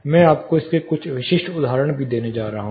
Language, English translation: Hindi, I am going to give you some specific examples of this as well